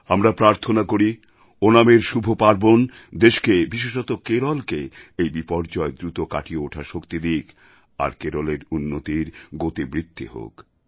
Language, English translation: Bengali, We pray for Onam to provide strength to the country, especially Kerala so that it returns to normalcy on a newer journey of development